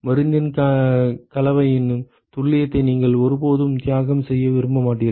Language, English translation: Tamil, You would never want to sacrifice on the precision of the composition of the drug